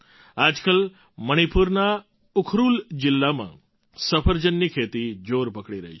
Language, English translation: Gujarati, Nowadays apple farming is picking up fast in the Ukhrul district of Manipur